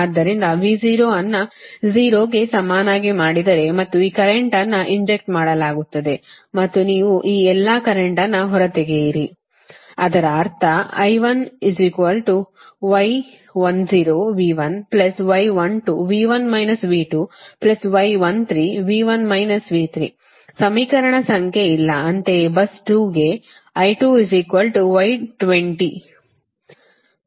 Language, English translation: Kannada, so if i make v zero is equal to zero and this current is getting injected and you take all this current out, then i one is equal to your first